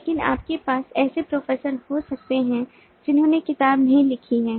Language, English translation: Hindi, but you can have professors who have not written books